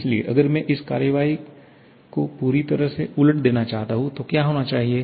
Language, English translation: Hindi, So, if I want to reverse this action completely, then what should happen